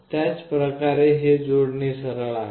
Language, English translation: Marathi, The same way this connection is straightforward